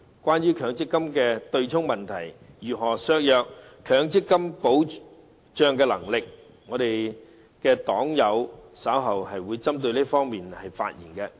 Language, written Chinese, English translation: Cantonese, 關於強積金的對沖問題如何削弱了強積金的保障能力，我的黨友稍後會針對這方面發言。, Regarding how the MPF offsetting arrangement has weakened MPFs protection my party comrade will speak on this issue later